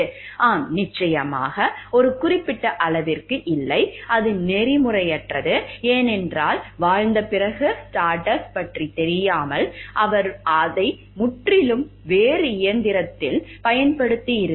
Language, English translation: Tamil, Yes, of course, to certain extent the there is no, and it has been unethical, because without the knowledge of Stardust after living, maybe he has applied it to a different machine altogether